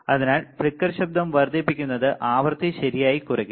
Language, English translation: Malayalam, So, flicker noise it increases the frequency decreases right